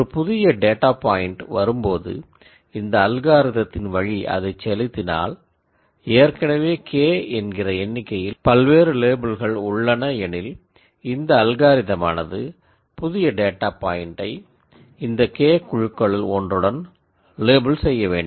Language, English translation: Tamil, Whenever a new data point comes if I send it through my algorithm and if I originally had K different labels the algorithm should label the new point into one of the K groups